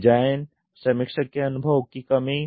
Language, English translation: Hindi, Lack of design review experience